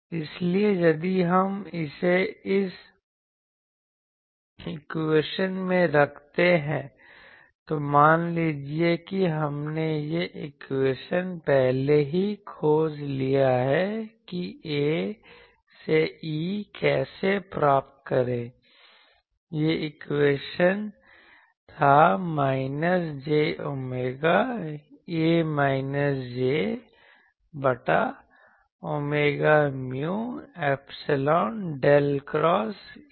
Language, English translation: Hindi, So, if we put this in that equation suppose we have already found this equation that from A how to get E that equation was minus j omega A minus j by omega mu epsilon del del cross A